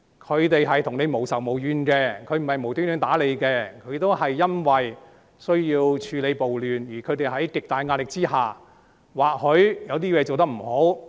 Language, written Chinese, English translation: Cantonese, 警察跟市民無仇無怨，不會無故打市民，他們只是因為需要處理暴亂，而由於他們處於極大壓力下，或許有些地方做得不好。, Police officers have no enmity and hatred towards the public they will not beat the public for no reason and they do so because they need to deal with the riots . Since they are under tremendous pressure there may be areas where their performance is undesirable